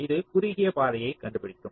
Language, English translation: Tamil, lets say the shortest path is this